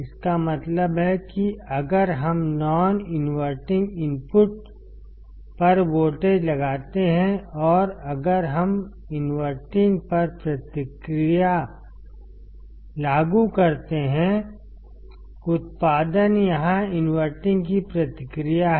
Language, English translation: Hindi, It means if we apply a voltage at the non inverting input and if we apply a feedback to the inverting; the output is feedback to inverting here